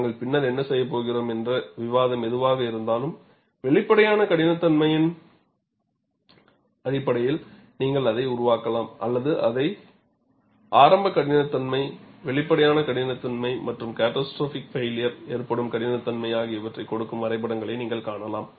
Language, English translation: Tamil, Whatever the discussion that we are going to do later, you could construct it based on the apparent toughness; or you would also find graph giving initiation toughness, apparent toughness and the toughness at which catastrophic failure occurs